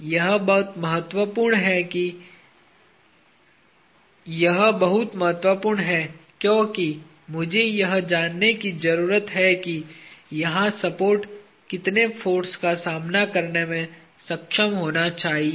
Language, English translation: Hindi, That is very important because I need to know how much force the support here should be able to withstand